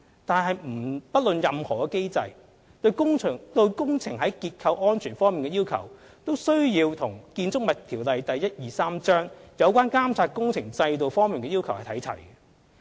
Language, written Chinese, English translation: Cantonese, 但是，不論屬機制為何，其對工程在結構安全方面的要求都需要與《建築物條例》有關監察工程制度方面的要求看齊。, However regardless of the type of mechanism structural safety requirements of the project also have to be on par with the requirements of works supervision under the Buildings Ordinance Cap . 123